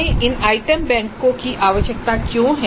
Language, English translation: Hindi, Now why do we need these item banks